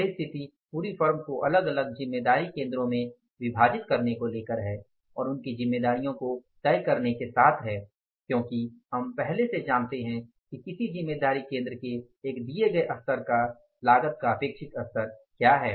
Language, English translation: Hindi, So, same is the case with the dividing the whole form into the different responsibility centers and fixing of their responsibility because we know in advance that what is the expected level of the cost at the one given level of the responsibility center